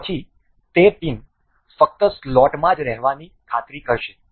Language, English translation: Gujarati, Then it will ensure the pin to remain in the slot its only